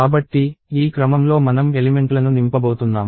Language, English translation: Telugu, So, this is the order in which we are going to fill up elements